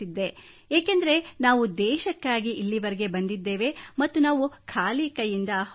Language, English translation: Kannada, Because we have come here for the country and we do not want to leave empty handed